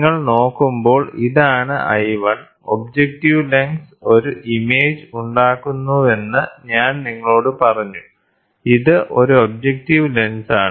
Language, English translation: Malayalam, When you look at it, this is what is I 1, which I told you the objective lens forms an image this is objective lens